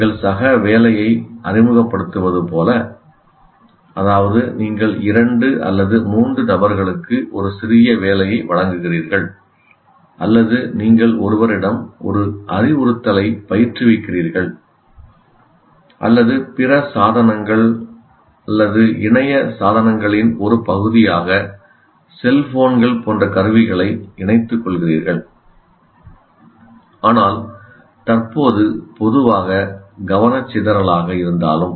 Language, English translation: Tamil, Like you introduce peer work, that means you give a small assignment to two or three people to work on or your tutoring one to one instruction or even incorporating tools like cell phones as a part of this or other devices or internet devices but presently thought typically as a distraction